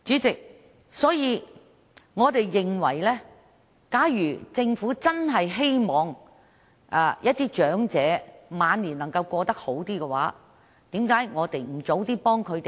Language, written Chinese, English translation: Cantonese, 主席，我們認為，假如政府真的希望讓長者的晚年能夠過得好一點，為何我們不及早幫助他們呢？, President our view is this . If the Government really wants to enable elderly people to live a better life in their twilight years why should we refuse to help them as early as possible?